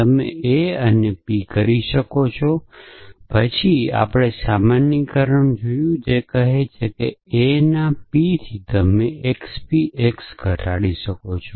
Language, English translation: Gujarati, You can p of a and then we saw generalization it says that from p of a you can reduce the x p x